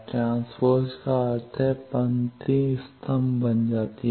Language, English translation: Hindi, Transpose means the row becomes column